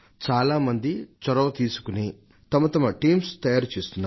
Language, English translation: Telugu, Many people are taking an initiative to form their own teams